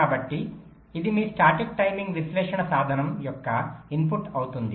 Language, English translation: Telugu, so this will be the input of your static timing analysis tool